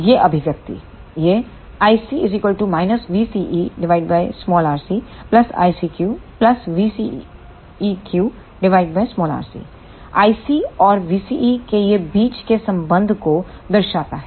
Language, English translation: Hindi, This represents the relation between the i C and v CE